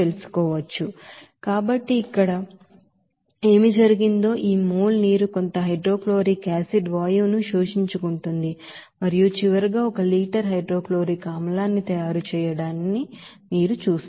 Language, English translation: Telugu, So accordingly what happened here this mole of water will be absorbing some hydrochloric acid gas and finally, you will see that one liter of hydrochloric acid to be made